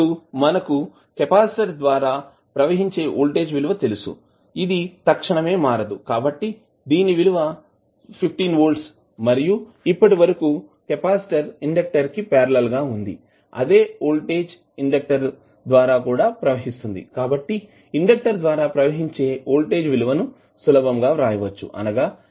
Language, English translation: Telugu, Now, you know that the voltage which is across the capacitor cannot change abruptly, so it will remain as 15 volt and since capacitor is in parallel with inductor the same voltage will be applied across the inductor also, so you can simply write the voltage across the inductor is nothing but L di by dt at time is equal to 0